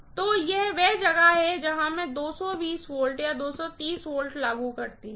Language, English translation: Hindi, So, this is where I apply 220 volts or 230 volts